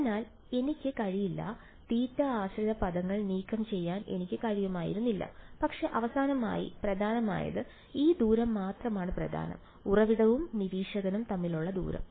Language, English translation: Malayalam, So, I cannot; I would not have been able to remove the theta dependent terms ok, but finally, all that matters is; all that matters is this distance, the distance between the source and the observer alright